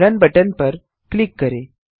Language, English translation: Hindi, Just click on the button Run